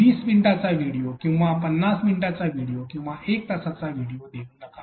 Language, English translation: Marathi, Do not provide a long video like 20 minute video or 50 minute video or 1 hour video